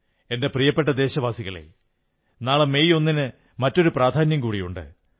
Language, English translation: Malayalam, My dear countrymen, tomorrow, that is the 1st of May, carries one more significance